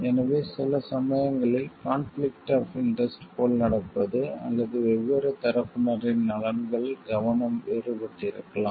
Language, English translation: Tamil, So, sometimes what happens like there could be a conflict of interest also, or there could be focus of interest of the different parties could be different